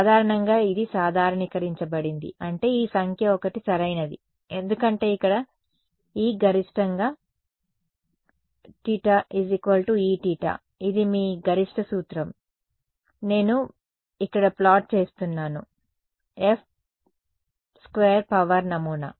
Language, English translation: Telugu, Typically this is normalized such that this number is 1 right because this is where E theta is equal to E theta max right, that is the maxima of your, what I am plotting over here is mod F squared the power pattern